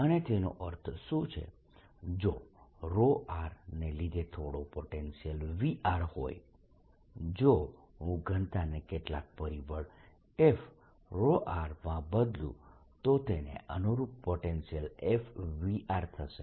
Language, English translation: Gujarati, and what it means is if there's some potential due to rho r, if i change the density to some factor, f, rho r, the potential correspondingly will change the potential v r